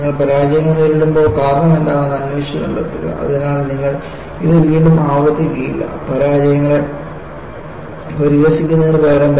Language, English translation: Malayalam, When you face failures, investigate, find out what is the cause, so that, you do not repeat it again; rather than ridiculing failures